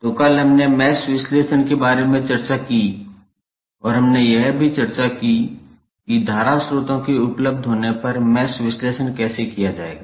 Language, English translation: Hindi, So, yesterday we discussed about mesh analysis and we also discussed that how the mesh analysis would be done if current sources available